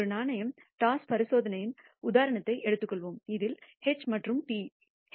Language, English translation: Tamil, Let us take the example of a coin toss experiment in which the outcomes are denoted by symbols H and T